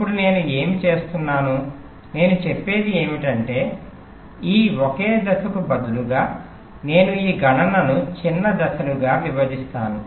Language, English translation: Telugu, now what i do, what i say, is that instead of this single stage, i divide this computation into smaller steps